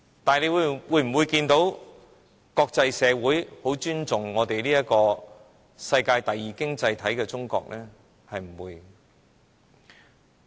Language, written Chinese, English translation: Cantonese, 但是，就我們所見，國際社會是否很尊重作為世界第二大經濟體的中國？, Yet as far as we can see does the international community have great respect for China as the worlds second largest economy?